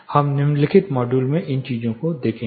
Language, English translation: Hindi, We will look at these things in the following module